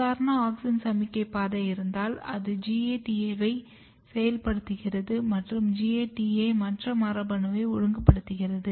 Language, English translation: Tamil, So if you have auxin signalling pathway, auxin signalling pathway is activating GATA and GATA might be regulating something and this is clear here